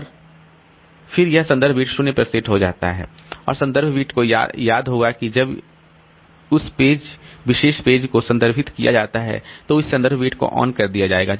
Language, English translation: Hindi, And reference bit will remember that if that particular page is referred, then that reference bit will be turned on